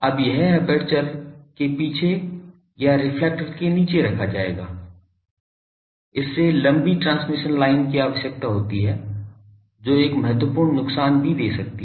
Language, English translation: Hindi, Now, that will be placed behind the aperture or below the reflector this necessitates long transmission line which may give also a significant loss